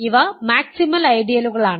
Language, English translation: Malayalam, These are maximal ideals